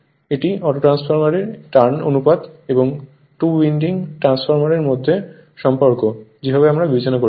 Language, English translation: Bengali, This is the relationship between the autotransformer turns ratio and that two winding transformer ratio, the way we have considering right